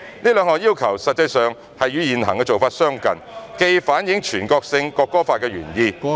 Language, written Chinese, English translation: Cantonese, 這兩項要求實際上與現行做法相近，既反映全國性《國歌法》的原意......, These two requirements are actually similar to what is currently being done which have reflected the legislative intent of the National Anthem Law